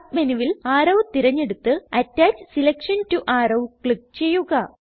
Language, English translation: Malayalam, In the Submenu select Arrow and Click on Attach selection to arrow